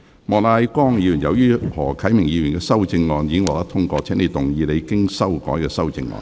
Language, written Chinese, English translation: Cantonese, 莫乃光議員，由於何啟明議員的修正案已獲得通過，請動議你經修改的修正案。, Mr Charles Peter MOK as Mr HO Kai - mings amendment has been passed you may move your revised amendment